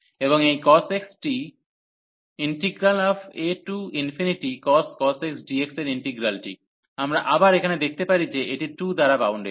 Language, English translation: Bengali, And this cos x the integral of the a to infinity cos x, we can again show that this is bounded by 2